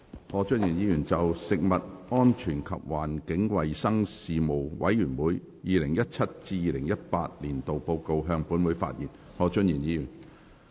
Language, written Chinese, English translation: Cantonese, 何俊賢議員就"食物安全及環境衞生事務委員會 2017-2018 年度報告"向本會發言。, Mr Steven HO will address the Council on the Report of the Panel on Food Safety and Environmental Hygiene 2017 - 2018